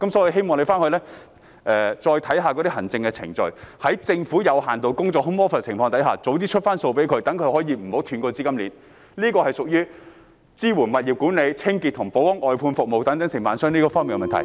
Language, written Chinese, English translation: Cantonese, 我希望政府再檢示行政程序，在政府有限度工作的情況下盡早發出款項，免得外判商的資金鏈中斷，這是屬於支援物業管理、清潔和保安外判服務等承辦商方面的問題......, I hope the Government will review the administrative procedures again in order to make funding expeditiously available to contractors when home office arrangement is adopted by the Government so that the funding chain of contractors will not be broken